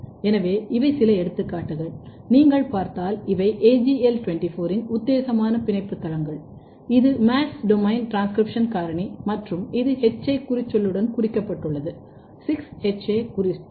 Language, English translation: Tamil, So, these are some examples for example, if you look these are the putative binding sites of AGL24 which is MADS domain transcription factor and this is tagged with the HA tag 6HA tag